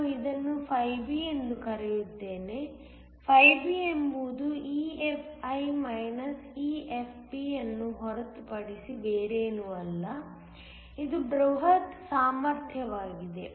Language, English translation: Kannada, Let me call this φB, φB is nothing but EFi EFP which is the bulk potential